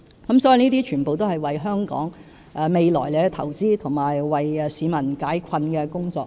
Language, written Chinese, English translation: Cantonese, 這些全是為香港未來投資及為市民解困的工作。, These projects are investment for the future of Hong Kong and initiatives to alleviate the plight faced by the people